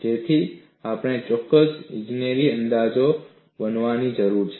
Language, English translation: Gujarati, So, we need to make certain engineering approximations